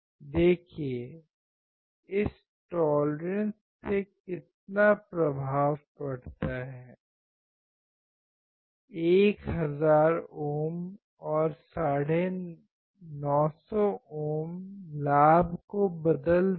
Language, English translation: Hindi, See this tolerance is making so much of effect right; 1 thousand ohms and 950 ohms will change the gain